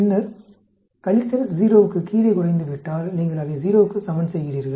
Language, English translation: Tamil, Then, if the subtraction reduces to below 0, then you just equate it to 0